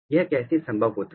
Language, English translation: Hindi, So, how this happens